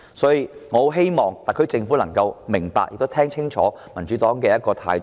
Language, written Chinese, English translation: Cantonese, 所以，我希望特區政府明白並聽清楚民主黨的態度。, Hence I hope the SAR Government can listen carefully to appreciate the stance of the Democratic Party